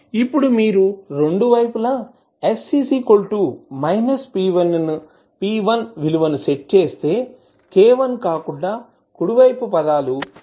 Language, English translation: Telugu, Now, if you set the value of s is equal to minus p1 at both sides, the right side terms other than the k1 will become 0